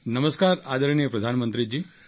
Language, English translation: Gujarati, Namaskar respected Prime Minister ji